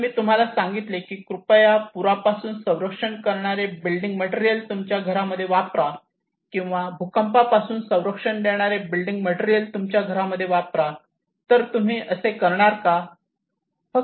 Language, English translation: Marathi, If I ask you that please use flood protective building materials in your house or earthquake protective building materials in your house will you do it